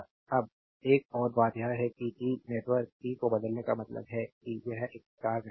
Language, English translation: Hindi, Now another thing is the transform the T network T means it is a it is a star network right